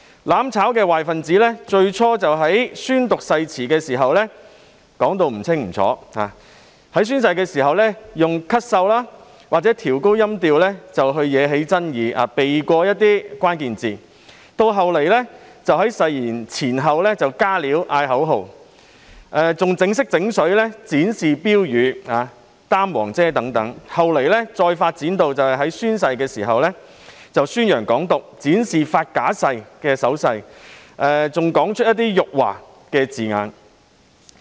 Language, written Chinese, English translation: Cantonese, "攬炒"壞分子最初在宣讀誓言時唸得含糊不清，在宣誓時利用咳嗽或提高音調來惹起爭議，避過一些關鍵詞語；其後更在誓言前後"加料"，喊口號，還"整色整水"，展示標語、舉起黃色雨傘等；後來甚至在宣誓時宣揚"港獨"，擺出發假誓的手勢，更說出一些辱華字眼。, When those undesirable elements from the mutual destruction camp started taking oath they slurred the oath coughed or raised the pitch of their voice to stir up controversy and skip certain key words . Worse still they made addition and chanted slogans before or after the oath; tried to put on a show by displaying placards and holding up yellow umbrellas . They then went further to advocate Hong Kong independence make false oath gestures and utter words to insult China in the oath - taking process